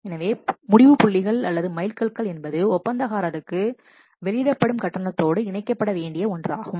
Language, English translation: Tamil, So, decision points or these what we can say milestones, they could be linked to release payments to the contractor